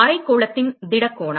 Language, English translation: Tamil, Solid angle of hemisphere